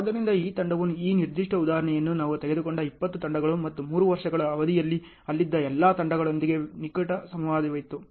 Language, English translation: Kannada, So, this team this particular example 20 teams we have taken out and within a span of 3 years there was close interaction with all the teams that was there